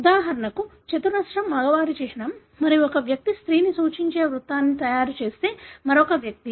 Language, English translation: Telugu, For example, the square is a symbol for male and, another individual if you make a circle that individual represent a female